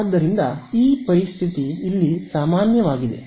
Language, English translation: Kannada, So, this situation is general over here